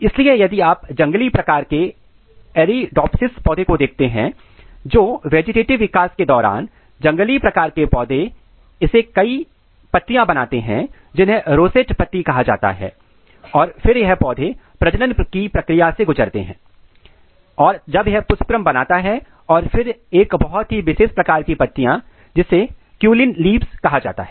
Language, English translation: Hindi, So, if you look the wild type Arabidopsis plant you see the development how it happens the wild type plants during the vegetative development it makes several leaves which is called rosette leaves and then this plants undergo the process of reproductive developments when this inflorescence are made and then a very special kind of leaves which is are cauline leaves are made